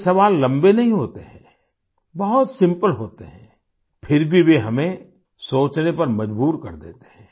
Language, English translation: Hindi, These questions are not very long ; they are very simple, yet they make us think